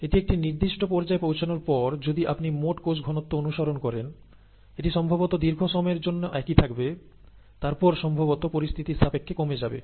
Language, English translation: Bengali, And after it has reached a certain stage, if you are following the total cell concentration, it will probably remain , remain the same for a large period of time and then probably go down depending on the situation